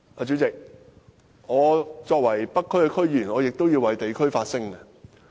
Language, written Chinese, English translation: Cantonese, 主席，作為北區區議員，我亦要為地區發聲。, President as a Member of the North District Council I must also speak for the district